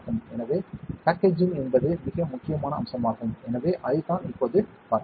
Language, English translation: Tamil, So, packaging is a very important aspect of that, so that is what we saw now